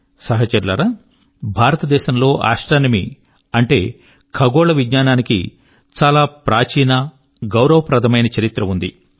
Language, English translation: Telugu, Friends, India has an ancient and glorious history of astronomy